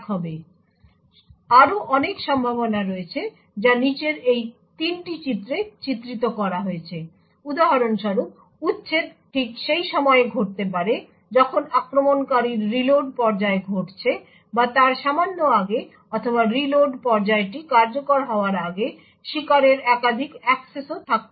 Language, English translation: Bengali, So there are many other possibilities which are depicted in these 3 figures below; for example, the eviction could occur exactly at that time when attacker’s reload phase is occurring or slightly before, or there could be also multiple accesses by the victim before the reload phase executes